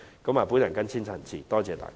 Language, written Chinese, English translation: Cantonese, 我謹此陳辭，多謝代理主席。, I so submit . Thank you Deputy President